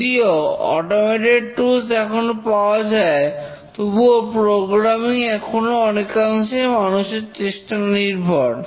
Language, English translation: Bengali, Programs, even though now a lot of automation, automated tools are available still programming is largely effort intensive